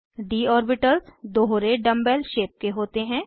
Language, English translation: Hindi, d orbitals are double dumb bell shaped